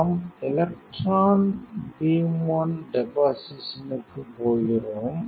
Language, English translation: Tamil, So, we are going to bake the electron beam one deposition